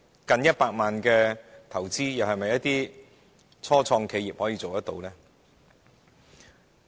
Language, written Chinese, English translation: Cantonese, 近100萬元的投資，又是否初創企業所能負擔？, Can start - ups afford an investment of nearly 1 million?